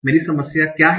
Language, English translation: Hindi, What is my problem